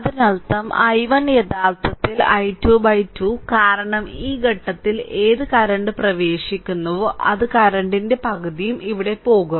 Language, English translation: Malayalam, That means i 1 actually is equal to i 2 is equal to i by 2, because whatever current is entering at this point, it will half of the current of half of I will go here half of I will go here